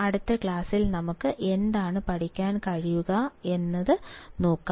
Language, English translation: Malayalam, Now let us see, what we can learn in the next class